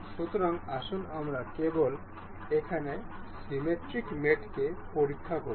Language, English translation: Bengali, So, let us just check the symmetric mate over here